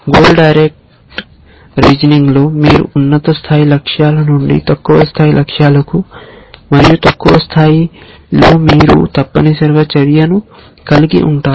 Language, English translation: Telugu, In goal directed reasoning, you reason from the high level goals to the low level goals and at the lowest level you have action essentially